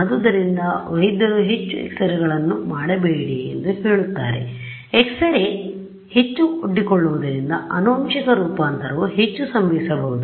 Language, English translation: Kannada, So, that is why doctors will say do not get too many X rays done you know you know given period of time, because the more you expose to X rays the more the genetic mutation can happen